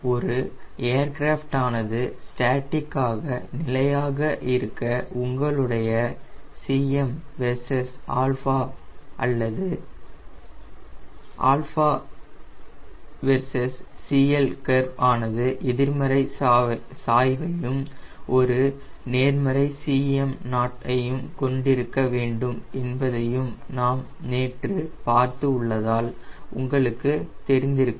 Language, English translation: Tamil, as you know, we saw yesterday that for an aircraft to be statically stable now cm versus alpha or cm versus cl curve should have negative slope and it should have a positive cm naught